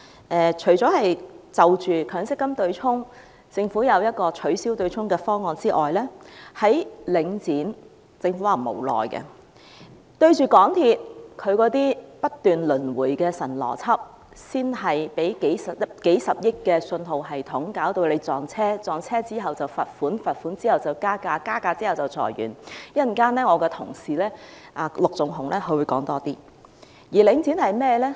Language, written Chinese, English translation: Cantonese, 政府除了提出取消強積金對沖機制的方案之外，面對領展，政府表示無奈；面對港鐵公司不斷輪迴的"神邏輯"，即首先是斥資數十億元的信號系統導致撞車，然後罰款，然後加價，然後裁員——稍後我的同事陸頌雄議員會再詳細談論。, Whilst the Government has put forward a proposal for abolishment of the MPF offsetting mechanism it has expressed helplessness in the face of Link REIT . In the face of the surrealistic logic repeatedly presented by MTRCL that is billions of dollars are firstly spent on a signalling system that causes a train collision then a fine is imposed followed by a fare rise and then layoffs―My colleague Mr LUK Chung - hung will elaborate it in detail later on